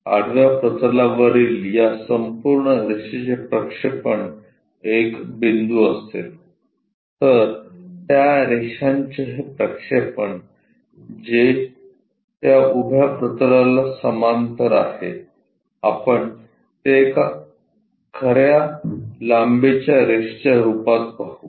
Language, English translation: Marathi, The projection of this entire line on the horizontal plane will be a dot point whereas, this projection of this line, which is parallel to that vertical plane we will see it as a true length line